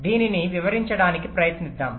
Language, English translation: Telugu, lets try to explain this